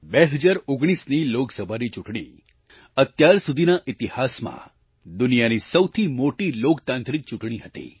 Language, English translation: Gujarati, The 2019 Lok Sabha Election in history by far, was the largest democratic Election ever held in the world